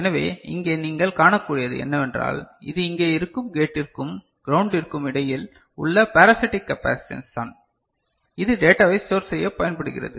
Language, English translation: Tamil, So, here what you can see that this is the parasitic capacitance between the gate over here at the ground that is there which is used for storing the information